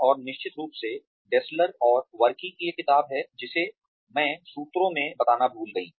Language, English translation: Hindi, And of course there is a book by Dessler and Varkkey that I forgot to mention in the sources